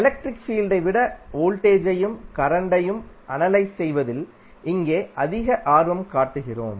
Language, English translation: Tamil, There we are more interested in about analysing voltage and current than the electric field